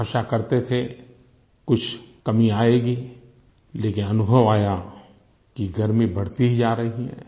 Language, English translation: Hindi, We were hoping for some respite, instead we are experiencing continual rise in temperature